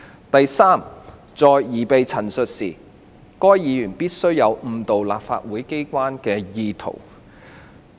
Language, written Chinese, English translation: Cantonese, 第三，在擬備陳述時，該議員必須有誤導立法機關的意圖。, Thirdly in preparing for the making of the statement the Member must have the intention to mislead the House